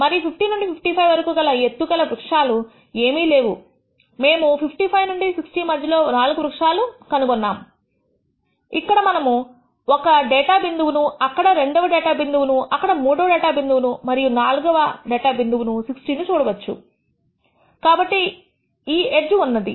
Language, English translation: Telugu, And I find between 50 and 55 there are no trees within that height, we find 4 trees with the height between 55 and 60 which we can easily see there is one data point here, there is second data point here, there is a third data point here and fourth data point is 60; so, the edge